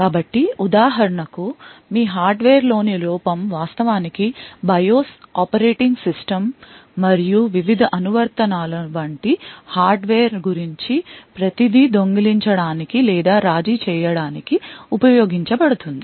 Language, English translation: Telugu, So, for example, a flaw in your hardware could actually be used to steal or compromise everything about that hardware like the BIOS operating system and the various applications